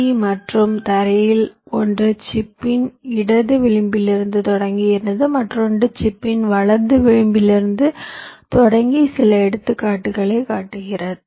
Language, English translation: Tamil, one of them starts from the left edge of the chip and the other starts from right edge of the chip and show some examples